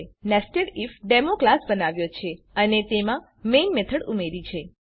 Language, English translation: Gujarati, We have created a class NesedIfDemo and added the main method to it